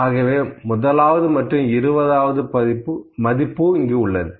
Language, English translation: Tamil, So, it is first and twentieth here, what I will have